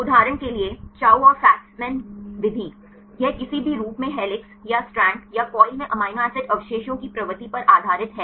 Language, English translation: Hindi, For example, Chou and Fasman method, this based on the propensity of amino acid residues at any conformation either helix or strand right or coil